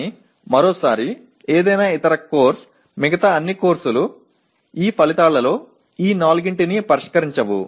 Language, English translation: Telugu, But once again any other course, all other courses most of the times do not address these four let us say these outcomes